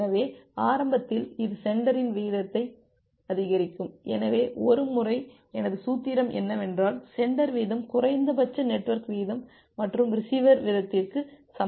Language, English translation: Tamil, So, initially which increase the sender rate, so once so my formula is that sender rate is equal to minimum of network rate and receiver rate